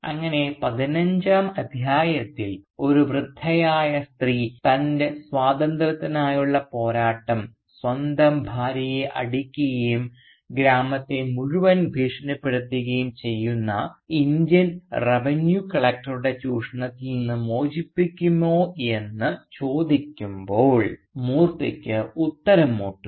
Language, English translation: Malayalam, Thus when in Chapter 15 an elderly lady asks Moorthy whether his fight for freedom is going to free her from the exploitation of an Indian Revenue Collector, who beats his own wife and who also coerces the whole village, Moorthy is at a loss for answer